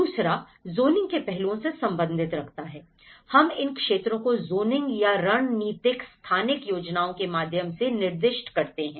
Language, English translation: Hindi, The second one is we do with the zoning aspect; also we designated these areas through zoning or strategic spatial planning